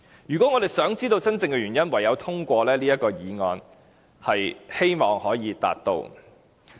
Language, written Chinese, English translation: Cantonese, 如果我們想知道真正的原因，唯有通過這項議案。, If we want to know the real reason the only way is to pass this motion